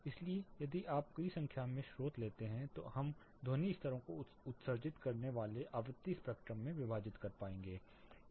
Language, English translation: Hindi, So, if you take multiple numbers of sources we will be able to split what frequency spectrum they actually are emitting the sound levels